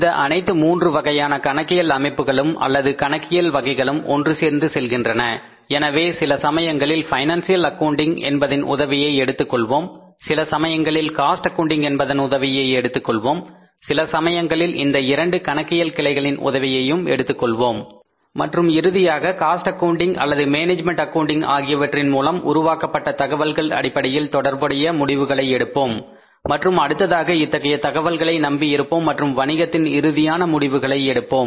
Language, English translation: Tamil, So, sometime we will be taking the help of financial accounting, sometime we will be taking the help of cost accounting, sometime we taking the help of both financial and cost accounting and finally, say arriving at some relevant decisions on the basis of the information which is generated by the financial accounting and cost accounting and then we are say depending upon this information and taking the final decisions in the business